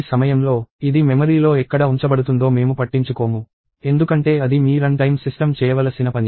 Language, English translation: Telugu, At this point, we do not care about where it is getting laid out in the memory, because that is something that, your run time system should do